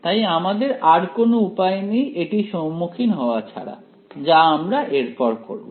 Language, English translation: Bengali, So, now, we have no choice now we must face this right, so that is what we do next